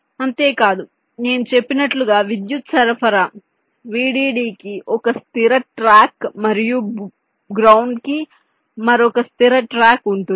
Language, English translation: Telugu, not only that, as i said, there will be a one fixed track for the power supply, vdd, and another fixed track for ground